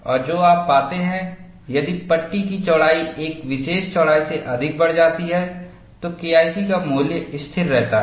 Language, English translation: Hindi, And what you find is, if the width of the panel is increased, beyond a particular width, the value of K 1 C remains constant